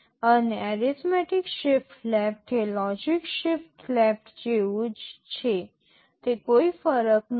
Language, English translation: Gujarati, And arithmetic shift left is same as logical shift left, no difference